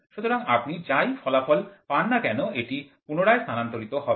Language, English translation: Bengali, So whatever output is there it is getting retransmitted